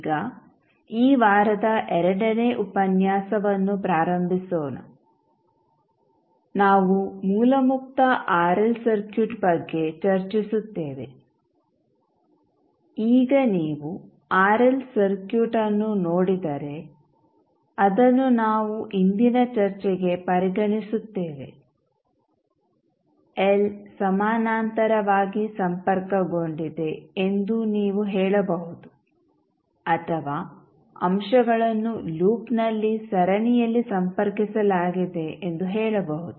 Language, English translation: Kannada, So now, let us starts the second lecture of this week we will discuss about the source free RL circuit now, if you see the RL circuit which we will consider for today’s discussion is RL circuit you can say that L is connected in parallel or you can say that the elements are connected in series in a loop